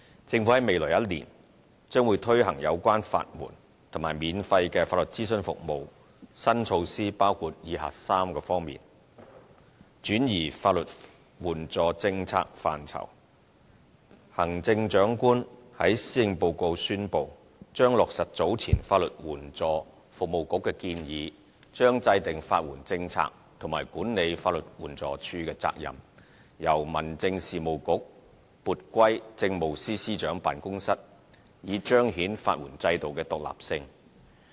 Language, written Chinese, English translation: Cantonese, 政府在未來1年將推行有關法援及免費法律諮詢服務，新措施包括以下3方面：轉移法援政策範疇：行政長官在施政報告宣布，將落實早前法律援助服務局的建議，將制訂法援政策和管理法律援助署的責任，由民政事務局撥歸政務司司長辦公室，以彰顯法援制度的獨立性。, In the following year the Government will carry out new initiatives in respect of legal aid and free legal advice services . These initiatives cover the following three aspects Transfer of the legal aid portfolio As announced in the Policy Address the Chief Executive will implement the recommendations advised earlier by the Legal Aid Services Council by transferring the responsibilities for formulating legal aid policy and housekeeping the Legal Aid Department LAD from the Home Affairs Bureau to the Chief Secretary for Administrations Office with a view to demonstrating the independence of the legal aid system